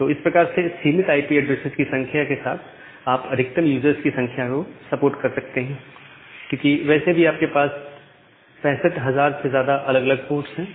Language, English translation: Hindi, So, that way now you can support more number of users with a very limited number of IP addresses because any way you have around 65000 more than 65000 different number of ports